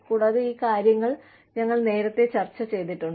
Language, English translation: Malayalam, And, we have discussed these earlier